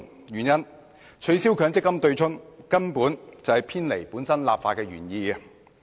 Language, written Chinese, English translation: Cantonese, 原因是取消強積金對沖機制根本是偏離立法原意。, Because the abolition of the MPF offsetting mechanism is indeed a deviation from the original legislative intent